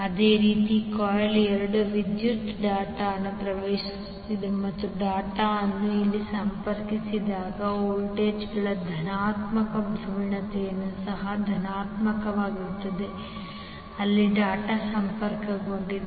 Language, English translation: Kannada, Similarly in the coil 2 current is entering the dot and the positive polarity of the voltages when where the dot is connected here also the positive where the dot is connected